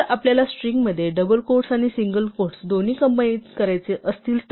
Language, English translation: Marathi, Now, what if you wanted to combine both double quotes and single quotes in a string